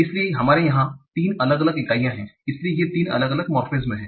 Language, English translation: Hindi, So there are three different morphemes that together constitute this single word